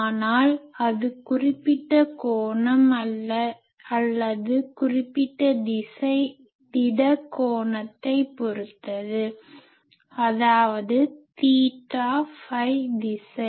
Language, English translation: Tamil, But it is with respect to certain angle or certain direction solid angle; that means theta phi direction